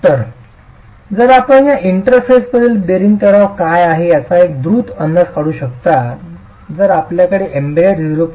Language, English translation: Marathi, So, if you can make a quick estimate of what's the bearing stress at that interface, if you have embedment plus a bearing stress of the order of 0